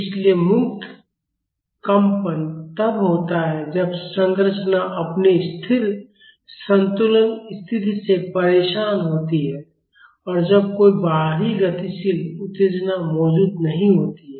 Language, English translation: Hindi, so, free vibration is when the structure is disturbed from its static equilibrium position and when no external dynamic excitation is present